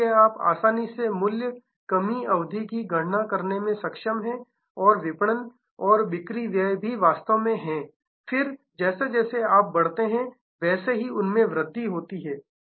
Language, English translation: Hindi, So, that you are able to easily count of the price down term and the marketing and the sales expenses are also actually then take to rise as you grow